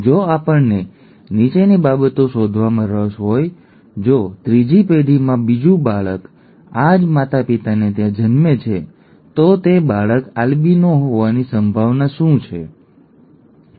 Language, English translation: Gujarati, If we are interested in finding the following, if another child in the third generation, in this generation is born to the same parents, what is the probability of that child being an albino, okay